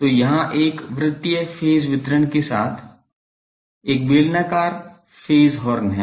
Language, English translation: Hindi, So, here is a cylindrical phase horn with a circular phase distribution